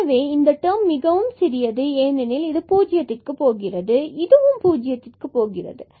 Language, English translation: Tamil, So, this term is pretty smaller because this is also going to 0 and this is also going to 0